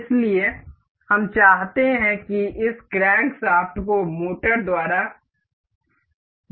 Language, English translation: Hindi, So, we will we want this crankshaft to be rotated by motor